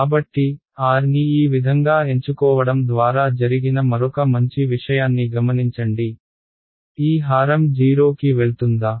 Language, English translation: Telugu, So, notice another nice thing that happened by choosing r to be this way, this denominator will it ever go to 0